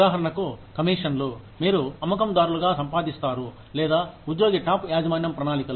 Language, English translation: Telugu, For example, the commissions, you earn as salespersons, or, the employee stock ownership plans